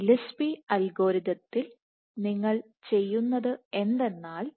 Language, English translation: Malayalam, So, in Gillespie’s algorithm what you do is